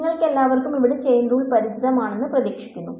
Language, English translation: Malayalam, So, this hopefully is familiar to all of you chain rule over here